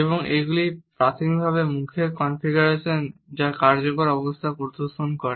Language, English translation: Bengali, And they are primarily facial configurations which display effective states